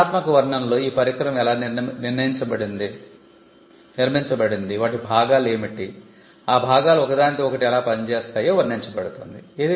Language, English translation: Telugu, Now, in the detailed description, you will actually tell how the device is constructed, what are the parts, how the parts work with each other